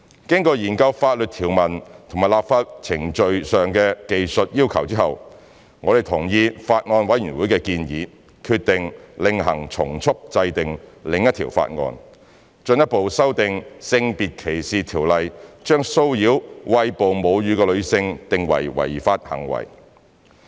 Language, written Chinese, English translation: Cantonese, 經研究法律條文及立法程序上的技術要求後，我們同意法案委員會的建議，決定另行從速制定另一項法案，進一步修訂《性別歧視條例》，將騷擾餵哺母乳的女性定為違法行為。, After studying the legal provisions and the technical requirements of the legislative process we adopted the recommendations of the Bills Committee and decided to expedite the formulation of a separate bill to further amend SDO to render it unlawful to harass a breastfeeding woman